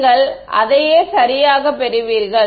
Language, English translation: Tamil, You will get the same thing right